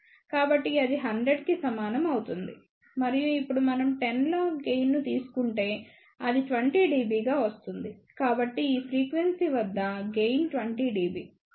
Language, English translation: Telugu, So, that will be equal to 100 and if we now take 10 log of gain that comes out to be 20 dB; so, gain at this frequency is 20 dB